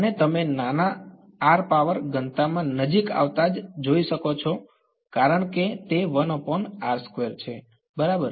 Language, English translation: Gujarati, And you can see as you get closer at smaller r power density increases because its 1 by r square right